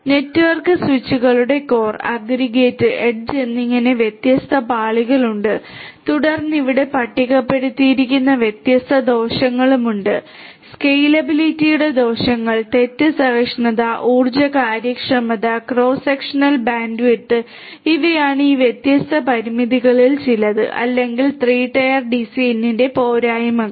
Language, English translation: Malayalam, There are these different layers of network switches core aggregate and edge and then there are different disadvantages that are also listed over here, disadvantages of scalability, fault tolerance, energy efficiency, and cross sectional bandwidth, these are some of these different limitations or the disadvantages of the 3 tier DCN